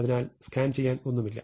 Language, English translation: Malayalam, So, there is nothing to scan